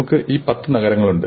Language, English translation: Malayalam, And so now we have these ten cities